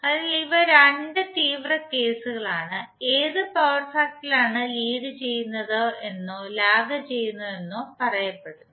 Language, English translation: Malayalam, So these are the 2 extreme cases in which power factor is said to be either leading or lagging